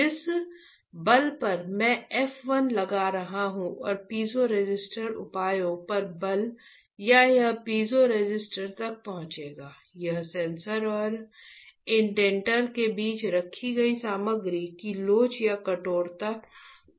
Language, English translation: Hindi, The force I am applying f 1 and the force at piezoresistor measures or it will reach the piezoresistor will depend on the elasticity or the stiffness of the material placed between the sensor and the indenter